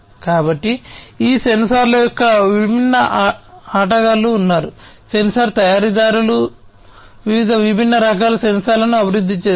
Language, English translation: Telugu, So, there are different players of these sensors, sensor manufacturers are there who develop different types of sensors